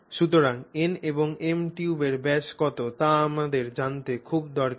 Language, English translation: Bengali, So, therefore the n and m are very useful in telling us what the diameter of the tube is